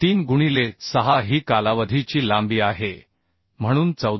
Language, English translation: Marathi, 3 into 6 is the span length so 14